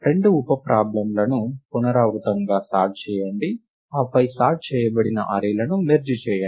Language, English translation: Telugu, Sort the two sub problems recursively, and then merge the sorted arrays right